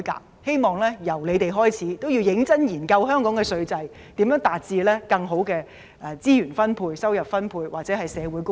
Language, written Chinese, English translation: Cantonese, 我希望由他們開始，認真研究香港的稅制，思考如何可以更好地分配資源和收入，達致社會公義。, I hope they can be the first to conduct serious studies on Hong Kongs tax regime and conceive ways to distribute resources and income more effectively so as to achieve social justice